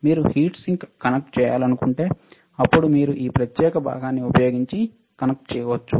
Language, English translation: Telugu, If you want to connect the heat sink, then you can connect it using this particular part